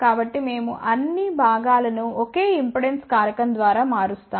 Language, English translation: Telugu, So, we change all the components by same impedance factor